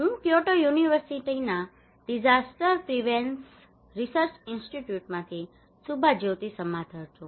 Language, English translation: Gujarati, I am Subhajyoti Samaddar from Disaster Prevention Research Institute, Kyoto University